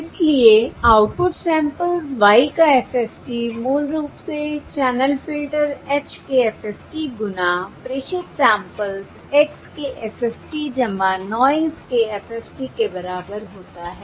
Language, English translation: Hindi, Therefore the FFT of the output samples, Y is basically the FFT, equals the FFT of the channel filter, H times the FFT of the transmitted samples, X, plus the FFT of the (())(11:54)